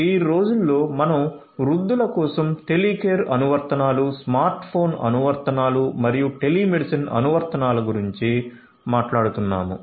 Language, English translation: Telugu, So, now a days, we are talking about having Telecare applications, smart phone applications, telemedicine applications for elderly people